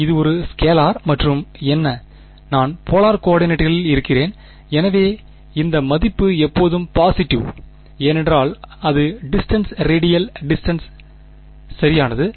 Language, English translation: Tamil, It is a scalar and what is; I’m in polar coordinates; so this value is always positive, it is because it is distance radial distance right